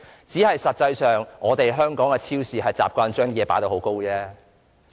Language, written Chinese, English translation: Cantonese, 不過，實際上，只是香港的超市習慣把貨品疊高而已。, But actually the point is merely that supermarkets in Hong Kong are used to piling up products